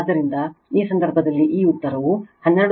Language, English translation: Kannada, So, in this case this answer is 12